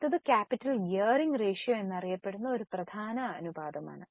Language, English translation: Malayalam, Now, there is one important ratio known as capital gearing ratio